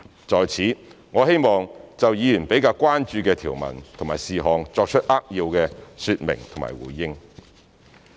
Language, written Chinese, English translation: Cantonese, 在此，我希望就議員比較關注的條文和事項作出扼要說明和回應。, Now I would like to briefly expound and respond to the provisions and matters that Members are more concerned about